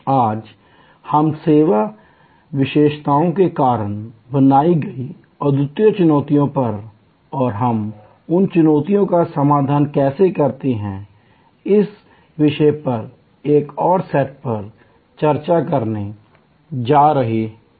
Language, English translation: Hindi, Today, we are going to discuss another set of unique challenges created due to service characteristics and how we address those challenges